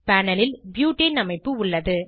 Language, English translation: Tamil, This is the structure of butane on the panel